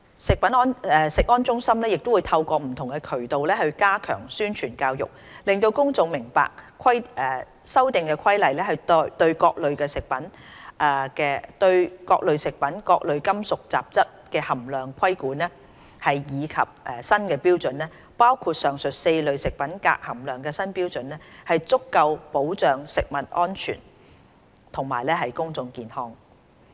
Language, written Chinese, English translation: Cantonese, 食安中心會透過不同渠道加強宣傳教育，讓公眾明白《修訂規例》對各類食品中各類金屬雜質含量的規管及新標準，包括上述4類食品鎘含量的新標準，可對食物安全及公眾健康提供足夠保障。, CFS will step up promotion and publicity through various channels to enable the public to understand that the regulation and new standards enforced by the Amendment Regulation on various food groups and various metallic contaminants including the new standard for cadmium content in the aforementioned four food groups can afford sufficient protection to food safety and public health